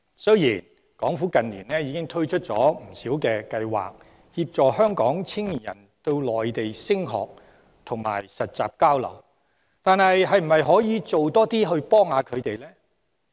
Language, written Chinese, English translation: Cantonese, 雖然港府近年已推出不少計劃，協助香港青年人到內地升學及實習交流，但可否推出更多措施幫助他們？, In recent years the Administration has launched many programmes to help Hong Kong young people to study and participate in internship or exchange programmes in the Mainland but can more measures be introduced to help them?